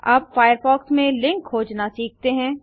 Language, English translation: Hindi, Now lets learn about searching for links in firefox